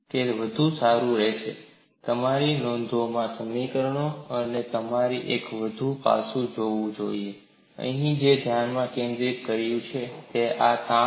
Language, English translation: Gujarati, Nevertheless, we will look at them, it is better that you have these equations in your notes and you should also look at one more aspect, what is focused here is, the form of this strain energy